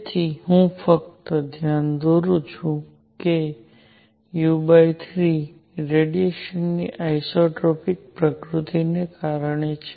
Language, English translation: Gujarati, So, let me just point out u by 3 is due to isotropic nature of radiation